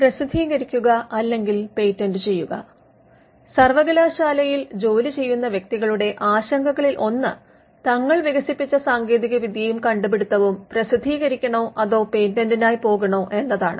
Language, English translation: Malayalam, One of the concerns that people who work in the university have is with regard to whether they should publish the invention or the technology that they have developed or whether they should go for a patent